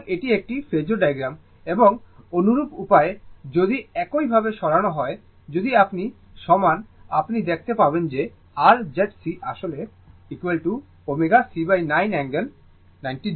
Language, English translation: Bengali, So, this is my phasor diagram right and similar way, if you move similar way, if you move, you will see that your Z C actually is equal to omega C by 9 angle minus 90 degree in this case right